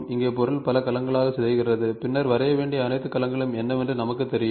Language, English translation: Tamil, And here the object is decomposed into several cells and then we know what are all the cells to draw